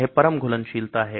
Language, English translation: Hindi, That is the ultimate solubility